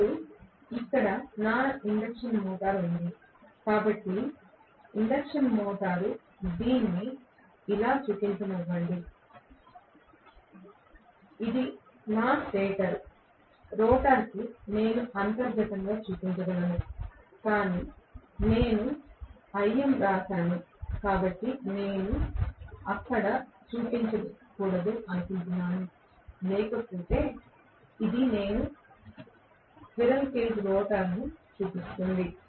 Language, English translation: Telugu, Now, here is my induction motor, so induction motor let me show it like this, this is my stator, the rotor I can show internally, but I have written big IM so I do not want to show it there otherwise this is the way I will show the squirrel cage rotor